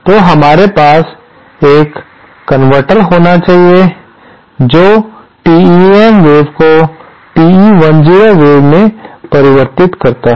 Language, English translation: Hindi, So, we have to have a converter which goes from which converts a TEM wave to a TE 10 wave